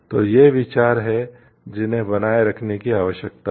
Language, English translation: Hindi, So, these are the considerations that require to be maintained